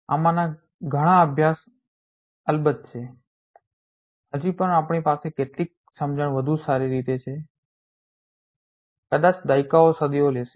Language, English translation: Gujarati, A lot of these studies are of course, still undergoing we have some understanding better understanding we will take perhaps decades centuries